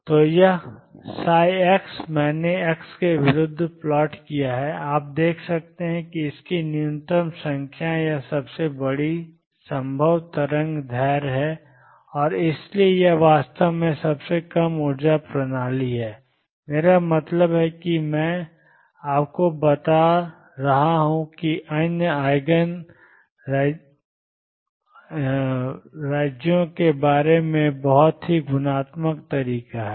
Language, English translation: Hindi, So, this is psi x I plotted against x you can see that it has minimum number or largest possible wavelength and therefore, it is really the lowest energy system I mean this is I am just telling you know very qualitative way what about other Eigen states